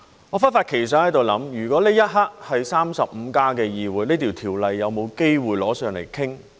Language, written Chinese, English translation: Cantonese, 我忽發奇想，如果這一刻是 "35+" 的議會，這法案有否機會提上來討論？, I have a thought that suddenly popped up in my mind . If at this moment this is a 35 Council is there any chance for this Bill to be tabled for discussion?